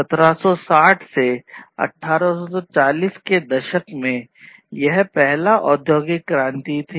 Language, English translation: Hindi, Back in 1760s to 1840s, it was the first industrial revolution